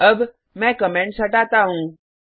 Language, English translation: Hindi, Now, let me remove the comments